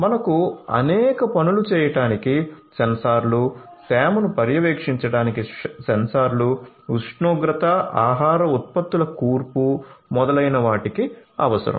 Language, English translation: Telugu, So, you need sensors for doing number of things, sensors for monitoring humidity, temperature, composition of food products and so on